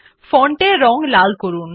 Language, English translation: Bengali, Change the font color to red